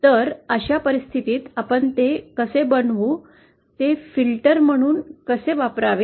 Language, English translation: Marathi, So in that case, how do we make it a, use it as a filter